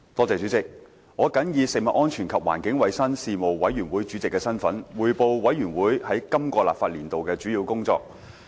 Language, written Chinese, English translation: Cantonese, 主席，我謹以食物安全及環境衞生事務委員會主席的身份，匯報事務委員會在今個立法年度的主要工作。, President in my capacity as Chairman of the Panel on Food Safety and Environmental Hygiene the Panel I report on the major work of the Panel in this legislative session